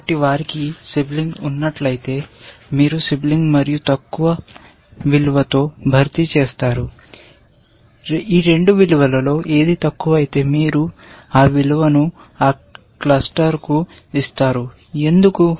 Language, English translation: Telugu, So, in case they have a sibling, you replace with sibling and lower value, whichever is the lower of the 2 values is you give that value to that cluster, why